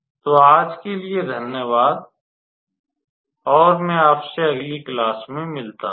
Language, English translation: Hindi, So, thank you for your attention today, and I will look forward to you in the next class